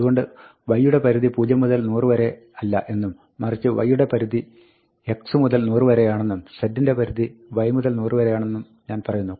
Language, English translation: Malayalam, So, what I do is, I go back, and I say that, y is not in range 100, but y is in range x to 100, and z is in range y to 100